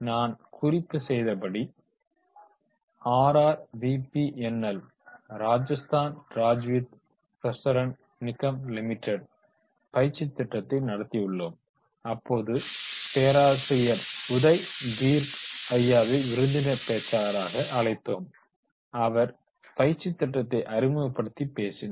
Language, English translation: Tamil, As I mentioned, that is when we have conducted the RRWV panel Rajasthan Rajadjid Prasana Nigham Limited training programs and during that training program we have at Jaipur we have also invited the professor Uday Parik sir and then he was there as a guest speaker and introduced and talked about that particular training program